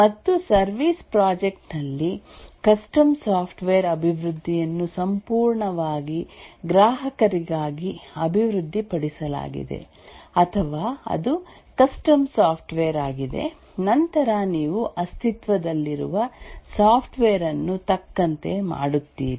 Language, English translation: Kannada, And in the services project we have custom software development, develop entirely for a customer, or it's a custom software but then you tailor an existing software